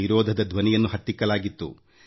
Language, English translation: Kannada, The voice of the opposition had been smothered